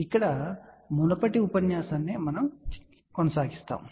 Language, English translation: Telugu, In fact, it is a continuation of the previous lecture